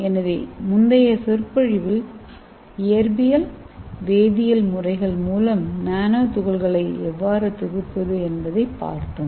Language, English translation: Tamil, So in the previous lecture we have seen how to synthesis nanoparticles by physical method and chemical methods